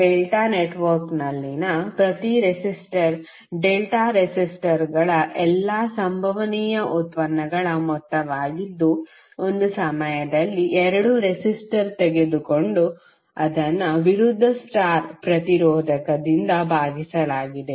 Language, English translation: Kannada, Each resistor in delta network is the sum of all possible products of delta resistors taken 2 at a time and divided by opposite star resistor